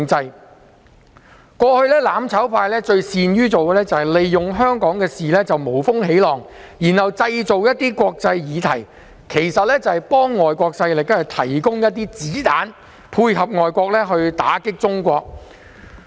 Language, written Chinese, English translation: Cantonese, 一直以來，"攬炒派"最擅於利用香港事務無風起浪，藉以製造國際議題，這無非是為外國勢力提供"子彈"，配合外國勢力打擊中國。, All along the mutual destruction camp has been best at making use of Hong Kong affairs to stir up non - existent international issues which just serve as bullets for foreign powers to attack China